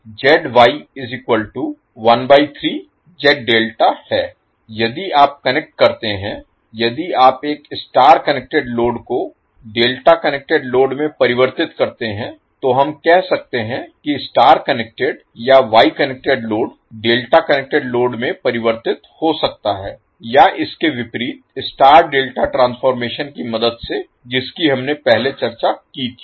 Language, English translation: Hindi, Similarly ZY will be 1 upon 3 of Z delta if you connect if you convert a star connected load into delta connected load, so we can say that the star connected or wye connected load can be transformed into delta connected load, or vice versa with the help of the star delta transformation which we discussed earlier